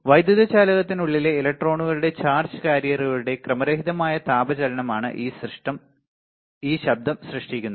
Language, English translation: Malayalam, So, this noise is generated by random thermal motion of charge carriers usually electrons inside an electrical conductor